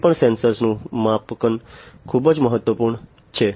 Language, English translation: Gujarati, Calibration of any sensor is very important